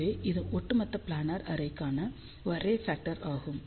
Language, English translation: Tamil, So, this is the overall array factor for this planar array